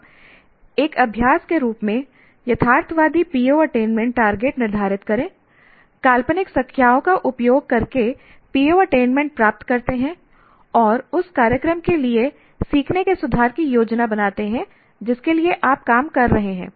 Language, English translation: Hindi, Now as an exercise, some set realistic PO attainment targets, compute PO attainment using hypothetical numbers and plan for improvement of learning for the program for which you are working